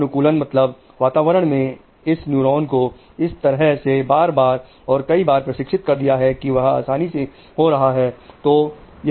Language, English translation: Hindi, Conditioning means environment has worked on this neuron to train them again and again and again and again and that has passed on